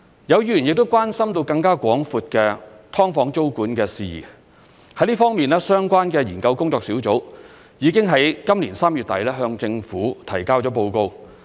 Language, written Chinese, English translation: Cantonese, 有議員亦關心更廣闊的"劏房"租務管制事宜，在這方面，相關的研究工作小組已在今年3月底向政府提交報告。, Some Members raised concern over matters relating to broader tenancy control of subdivided units . In this connection the relevant task force for the study on this matter already submitted its report to the Government at the end of March 2021